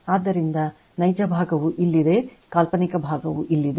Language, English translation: Kannada, So, real part is here and imaginary part is here right